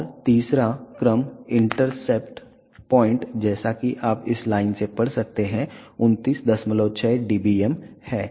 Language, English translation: Hindi, And the third order intercept point as you can read from this line is 29